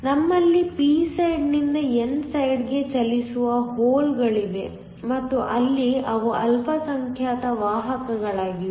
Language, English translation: Kannada, We also have holes from the p side moving to the n side and there they are the minority carriers